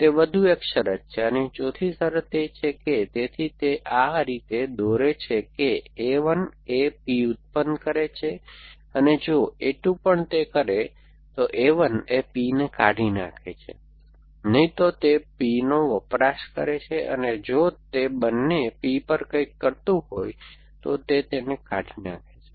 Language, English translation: Gujarati, So, that is one more condition and the fourth condition is that, so it as draw it like this is a 1 produces P and deletes P and if a 2 also does that, it consumes P and deletes P if both of them are consuming something